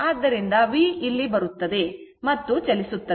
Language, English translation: Kannada, So, v will come to this and I will move